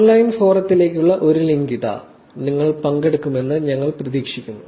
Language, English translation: Malayalam, Here is a link to the online forum; we hope that you would actually participate